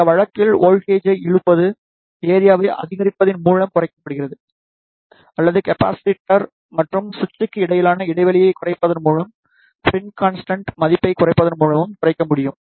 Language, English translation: Tamil, In this case the pull in voltage is reduced by increasing the area or it can be reduced by decreasing the gap between the capacitor and the switch and by decreasing the spring constant value